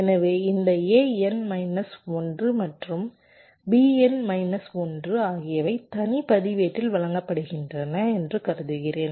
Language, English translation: Tamil, so so i am assuming this: a n minus one and b n minus one are being fed to a separate register